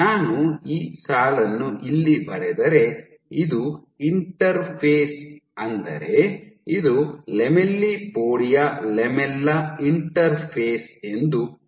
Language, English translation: Kannada, So, if I draw this line here let us say let us assume this is the interface this is the lamellipodia lamella interface